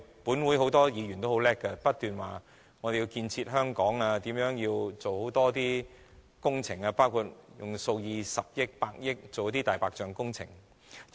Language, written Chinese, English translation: Cantonese, 本會很多議員也很精明，不斷說要建設香港，如何做好工程，包括用數以十億元或百億元在"大白象"工程上。, A lot of Members in this Council are very smart . They keep on saying how to build Hong Kong with grand projects including spending billions or ten billions of dollars on the white elephant projects